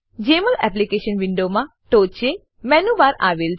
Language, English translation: Gujarati, Jmol Application window has a menu bar at the top